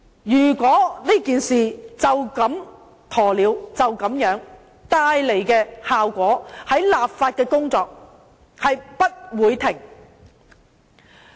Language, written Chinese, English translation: Cantonese, 如果以鴕鳥態度面對這事，效果是立法的工作將不會停止。, If the Government takes the attitude of an ostrich towards this issue the legislative work to follow will never cease